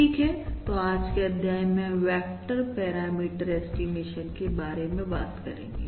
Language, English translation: Hindi, Alright, so, ah, in today’s model we are going to start talking about vector parameter estimation